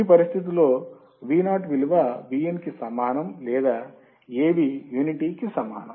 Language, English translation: Telugu, Under this condition Vo equals to Vin or Av equals to unity